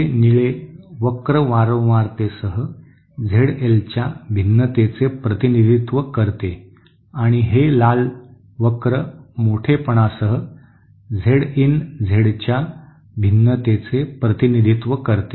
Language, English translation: Marathi, This blue curve represents the variation of Z L with frequency and this red curve represents the variation of Z in Z in with amplitude